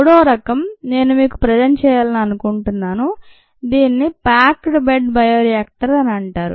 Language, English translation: Telugu, the third kind that i would like to present to you is something called a packed bed bioreactor